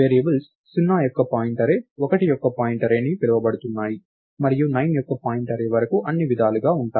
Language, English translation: Telugu, The variables are going to be called pointArray of 0, pointArray of 1 and so on, all the way up to pointArray of 9